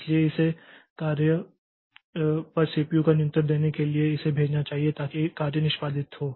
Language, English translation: Hindi, So, it should send, it should give control of the CPU to the job so that that job is executed